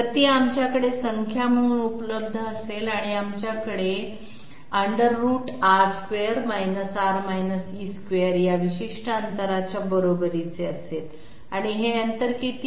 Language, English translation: Marathi, So it will be available with us as a number, so we have R square R E Whole Square equal to this particular distance and what is this distance